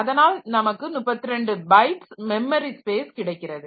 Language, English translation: Tamil, So, we have got a 32 byte memory space and we have got 4 byte pages